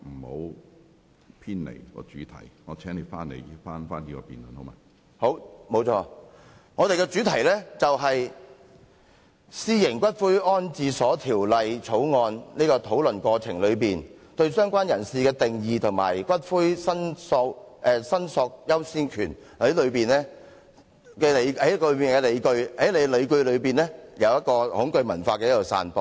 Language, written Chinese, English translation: Cantonese, 好的，沒錯，我們的主題是《私營骨灰安置所條例草案》，討論"相關人士"的定義和骨灰申索的優先權過程中提出的理據，便是恐懼文化的散播。, Alright . It is true that the subject under debate is the Private Columbaria Bill the Bill . The argument presented in the discussion of the definition of related person and the order of priority of claim was dissemination of the culture of fear